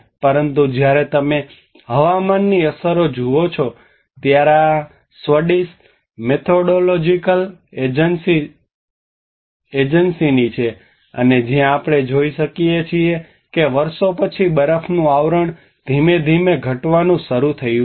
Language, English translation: Gujarati, But when you look at the weather impacts like this is from the Swedish methodological agency and where we can see the snow cover have started gradually reduced from year after year